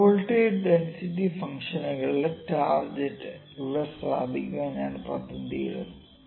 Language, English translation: Malayalam, I will put the target for probability density functions here